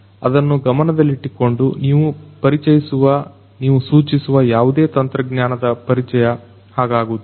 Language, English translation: Kannada, So, keeping that in mind it is not going to be that you know you you introduce you suggest the introduction of any technology it is not like that